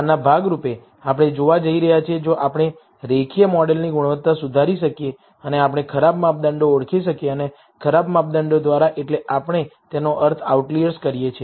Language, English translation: Gujarati, As a part of this, we are going to see, if we can improvise the quality of the linear model and can we identify bad measurements and by bad measurements, we mean outliers